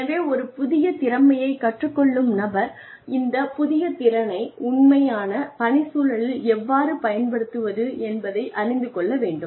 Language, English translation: Tamil, So, the person who is learning a new skill needs to know how to use this new skill, in the actual work environment